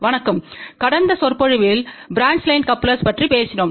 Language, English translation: Tamil, Hello, in the last lecture we had talked about branch line couplers